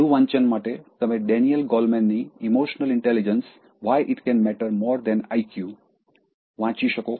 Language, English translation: Gujarati, For further reading, you can go back to Daniel Goleman’s Emotional Intelligence: Why It Can Matter More Than IQ